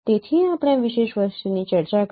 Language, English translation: Gujarati, So we discuss this particular thing